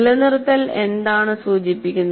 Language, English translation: Malayalam, What does retention refer to